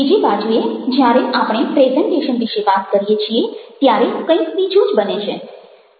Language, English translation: Gujarati, on the other hand, when we are talking about presentation, something else is happening